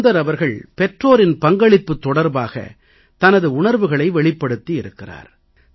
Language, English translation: Tamil, Sunder Ji has expressed his feelings on the role of parents